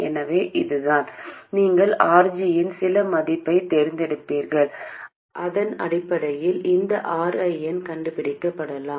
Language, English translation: Tamil, You would have chosen some value of RG and based on that you can find this RN